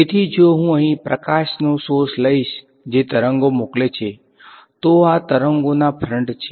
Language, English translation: Gujarati, So, if I take a light source over here which is sending out waves, so these are the waves fronts